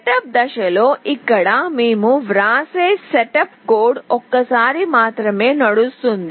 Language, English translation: Telugu, In the setup phase, the setup code here that we write is only run once